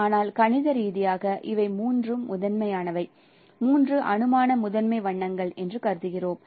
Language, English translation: Tamil, But no, mathematically we consider that these are the three primaries, three hypothetical primary colors